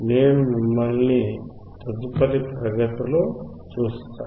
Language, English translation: Telugu, I will see you in the next class